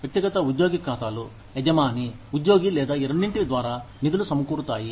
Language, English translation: Telugu, Individual employee accounts, funded by the employer, the employee, or both